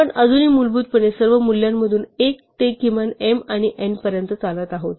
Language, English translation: Marathi, We are still basically running through all values in principle from 1 to the minimum of m and n